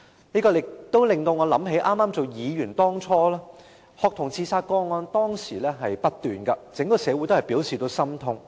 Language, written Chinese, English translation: Cantonese, 這令我記起我初任議員時，學童自殺個案不斷，整個社會都表示心痛。, It reminds me of my initial period as a Member which was met with ceaseless student suicides leaving the entire society grief - stricken